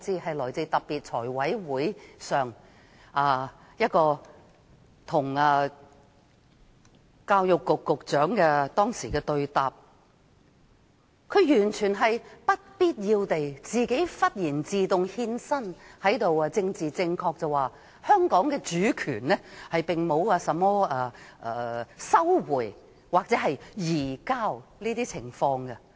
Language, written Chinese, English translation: Cantonese, 在財務委員會會議上，教育局局長與議員對答時，完全不必要地突然自動獻身，政治正確地指香港的主權並沒有甚麼收回或移交的情況。, At a meeting of the Finance Committee when the Secretary for Education was having a dialogue with Members he suddenly took the initiative to say for no reason at all in a politically correct manner that there was no such thing as recovery or transfer of Hong Kongs sovereignty